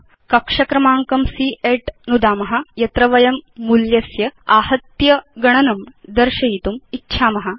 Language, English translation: Sanskrit, Now lets click on cell number C8 where we want to display the total of the costs